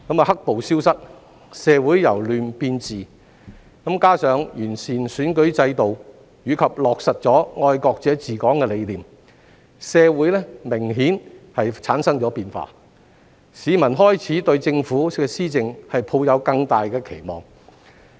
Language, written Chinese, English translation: Cantonese, "黑暴"消失、社會由亂變治，加上完善了選舉制度，以及落實了"愛國者治港"的理念，社會明顯產生了變化，市民開始對政府的施政抱有更大期望。, As the black - clad violence disappeared social chaos has given way to social order . Besides with the improvement of the electoral system and the application of the concept of patriots administering Hong Kong society has seen obvious changes and so members of the public begin to have greater expectations for the Governments policy implementation